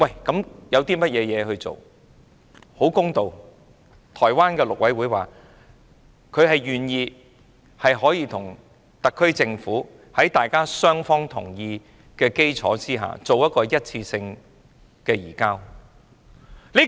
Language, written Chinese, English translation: Cantonese, 公道說句，台灣陸委會亦表示願意與特區政府在雙方同意的基礎上作一次性移交。, In all fairness MAC have already indicated its willingness to conduct an one - off extradition of the offender with the Hong Kong SAR Government on a mutually - agreed basis